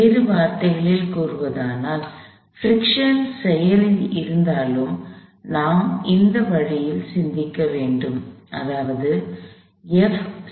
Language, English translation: Tamil, In other words, even if friction was active; even if friction was present, we have to think of this way – F max would be some mu times N